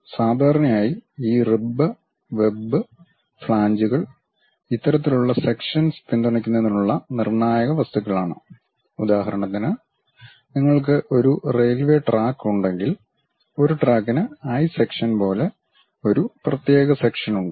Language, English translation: Malayalam, Typically these ribs, web, flanges this kind of sections are crucial materials to support; for example, like if you have a railway track, there is a track is having one specialized section like eye sections